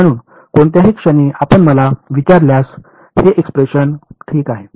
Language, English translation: Marathi, So, at any point if you ask me this expression is obeyed ok